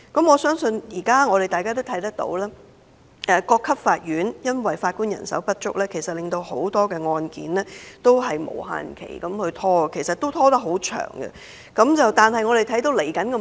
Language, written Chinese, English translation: Cantonese, 我相信大家現時也看到，由於各級法院法官人手不足，很多案件也要無限期拖延，拖延的時間也頗長。, I believe Members must have all seen that due to the present shortage of Judges at all levels of court many cases are delayed indefinitely and the duration of delay is rather long